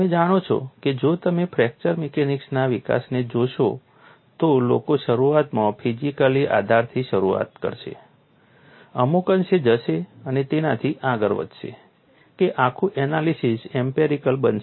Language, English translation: Gujarati, You know if you look at fracture mechanics development people will initially start with a physical basis go to some extend and beyond that the whole analysis will become empirical